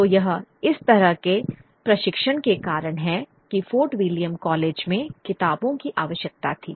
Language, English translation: Hindi, So it is because of this kind of training that in the Provort Will William College that books were necessary